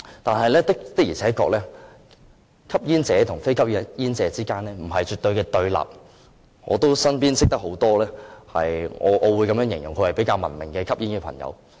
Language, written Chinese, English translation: Cantonese, 但是，的而且確，吸煙者和非吸煙者之間，不是絕對對立的，我身邊有很多我形容為比較文明的吸煙朋友。, Indeed smokers and non - smokers are not absolutely confrontational . I have many friends whom I describe as civilized smokers